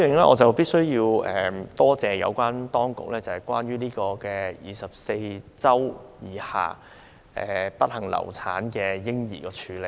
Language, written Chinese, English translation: Cantonese, 我必須感謝有關當局對受孕24周以下不幸流產嬰兒的處理。, I must thank the authorities for the treatment of unfortunately abortuses of less than 24 weeks gestation